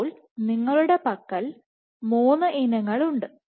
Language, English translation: Malayalam, So now you have 3 species right